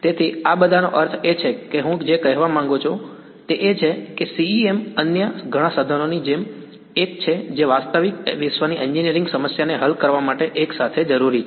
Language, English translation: Gujarati, So, these are all that I mean what I want to convey is that CEM is one of the tools like many others which together will be needed to solve a real world engineering problem right